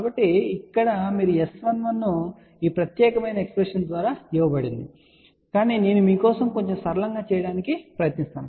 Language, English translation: Telugu, So, here you can say S 11 is given by this particular expression but I will try to make things little simpler for you